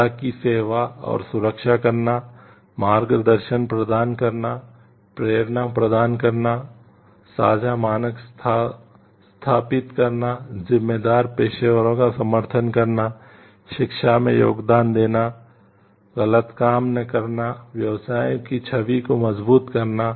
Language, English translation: Hindi, Serving and protecting the public, providing guidance, offering inspiration, establishing shared standards, supporting responsible professionals, contributing to education, deterring wrongdoing, strengthening a professions image